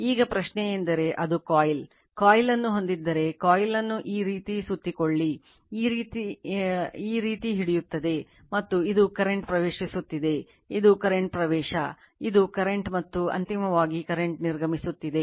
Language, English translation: Kannada, Now, question is that it is a coil, if you have a coil, you wrap the coil like this, you grabs the coil like this, and this is the current is entering right, this is the current entering, this is the curren, and finally the current is leaving